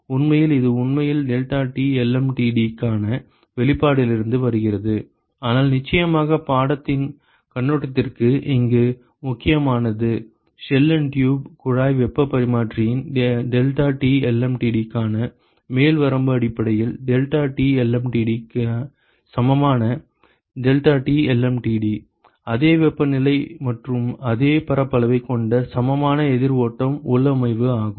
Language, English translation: Tamil, In fact, this actually comes from the expression for the deltaT lmtd, but what is important here for the course point of view is to realize that the upper bound for the deltaT lmtd of a shell and tube heat exchanger is essentially that of the deltaT lmtd equivalent deltaT lmtd of an equivalent counter flow configuration which has same temperature and same area ok